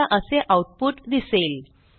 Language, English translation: Marathi, We get the output as follows